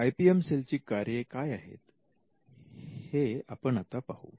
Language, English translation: Marathi, Now let us look at the core functions of an IPM cell